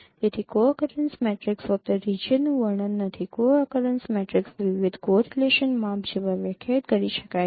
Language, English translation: Gujarati, So co accurrence matrix is not just describing region, a co occurrence matrix different measures can be defined like correlation measure